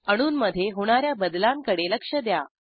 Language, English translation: Marathi, Observe the change in the atoms